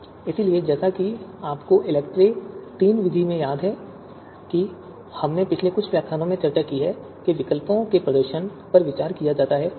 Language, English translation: Hindi, So as you remember in the in the ELECTRE procedure, in the ELECTRE third method that we have discussed in previous few lectures, performances of alternatives are considered